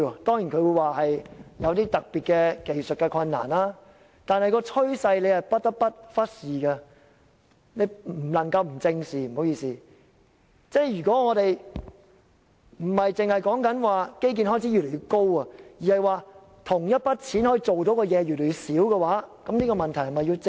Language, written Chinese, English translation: Cantonese, 當然，他們說有特別的技術困難，但司長不得不正視這趨勢，不單基建開支越來越高，而同一筆款項可以做的事越來越少，這問題是否要正視？, Of course the reasons given are the special technical difficulties but the Financial Secretary should address this trend squarely . With an increasing expenditure in infrastructure development fewer tasks can be accomplished by the same sum of money . Is this a problem worth paying attention to?